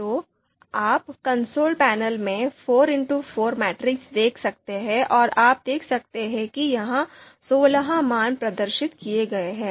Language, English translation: Hindi, So you can see here four by four matrix in the console you know panel and you can see that sixteen values have been displayed here